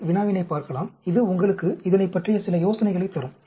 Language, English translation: Tamil, You can look at the problem, which can give you some idea about it